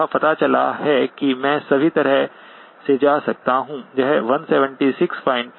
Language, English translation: Hindi, It turns out that I can go all the way up to